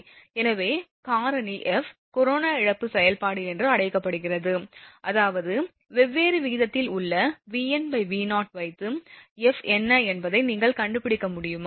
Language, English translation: Tamil, So, F this F is the factor actually F is called the corona loss function, I mean you have for different ratio V n by V 0 you can find out what is F